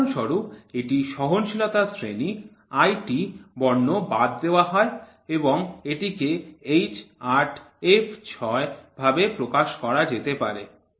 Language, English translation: Bengali, So for example, it is IT in the tolerance grade the letter IT are omitted and the class is represented as H8 f 6 you can represent see